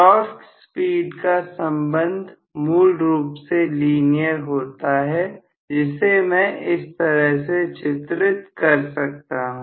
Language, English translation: Hindi, So, torque speed relationship is basically a linear relationship which I can plot somewhat like this